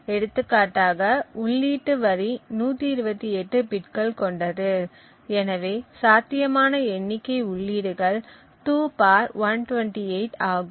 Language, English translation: Tamil, So, let us say for example the input line is of 128 bits and therefore the possible number of inputs is 2^128